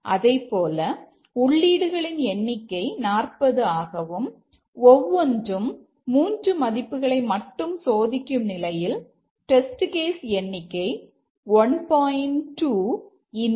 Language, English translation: Tamil, Similarly, if the number of inputs is 40 and each one takes three only, three values, then the number of test cases is 1